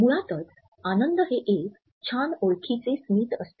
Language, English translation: Marathi, So, basically happiness is just a big old smile